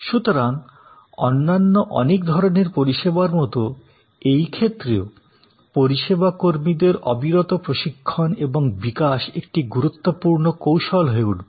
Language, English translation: Bengali, So, just as for many other types of services, the continuous training and development of service personnel will be an important strategy